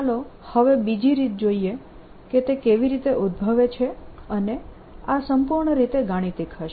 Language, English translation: Gujarati, let us now see an another way, how it arises, and this will be purely mathematical